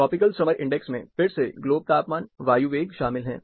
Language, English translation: Hindi, Tropical summer index again includes globe temperature, air velocity